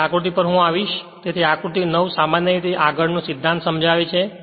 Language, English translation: Gujarati, So, figure I will come, so figure 9 in general illustrates the principle next I will show